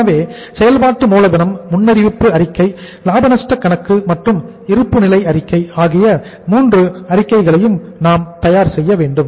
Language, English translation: Tamil, So we will be preparing all the 3 statement that is the working capital forecast statement, profit and loss account, and balance sheet